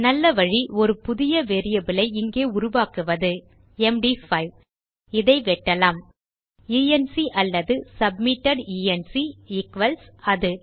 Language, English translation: Tamil, The best way to do this is to create a new variable up here saying, MD5 cut this so enc or submitted enc equals that